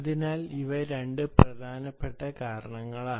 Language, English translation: Malayalam, so thats the second reason